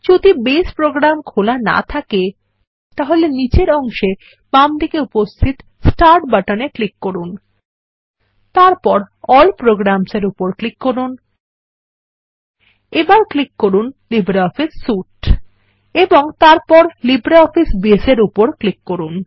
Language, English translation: Bengali, If Base program is not opened, then we will click on the Start button at the bottom left,and then click on All programs, then click on LibreOffice Suite and then click on LibreOffice Base